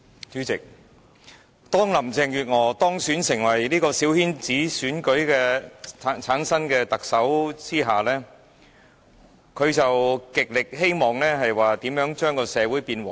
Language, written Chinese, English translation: Cantonese, 主席，當林鄭月娥當選成為由小圈子選舉產生的特首後，她極希望令社會變得和諧。, President when Carrie LAM was elected Chief Executive returned in the coterie election she indicated her strong wish of bringing social harmony